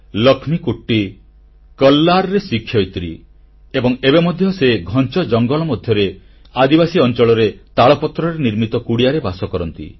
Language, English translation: Odia, Laxmikutty is a teacher in Kallar and still resides in a hut made of palm leaves in a tribal tract amidst dense forests